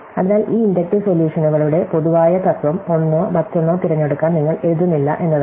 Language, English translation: Malayalam, So, this is what the general principle of these inductive solutions is that you do not write to choose one or the other